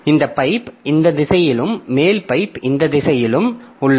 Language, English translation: Tamil, So, this pipe is in this direction and the upper pipe is in this direction